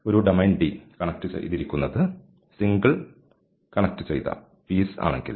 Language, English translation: Malayalam, A domain D is simply connected if it consists of single connected piece